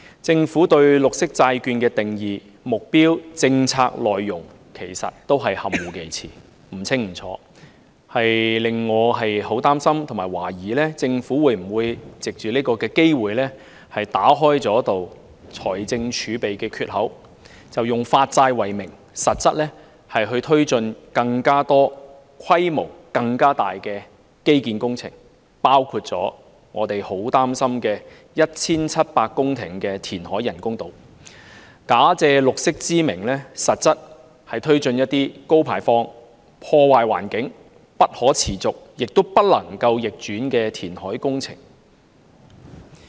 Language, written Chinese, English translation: Cantonese, 政府對綠色債券的定義、目標和政策內容含糊其詞，不清不楚，令我很擔心和懷疑政府會否藉此機會打開財政儲備的缺口，以發債為名，實質推展更多且規模更大的基建工程，包括我們很擔心的 1,700 公頃人工島填海工程，假借綠色之名，實質推展一些高排放、破壞環境、不可持續亦不能逆轉的填海工程。, The Government has been vague and ambiguous about the definition purpose and policy content of green bonds which makes me concerned and suspicious of the Governments intention to take this opportunity to create an opening to the fiscal reserves taking forward more infrastructure projects of an even larger scale including the reclamation works for the construction of artificial islands with a total area of 1 700 hectares which we are very concerned about under the guise of bond issuance . It actually seeks to take forward some highly polluting environmentally - unfriendly unsustainable and irreversible reclamation works in the name of green